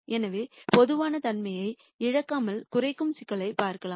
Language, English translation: Tamil, So, in without loss of generality we can look at minimization problems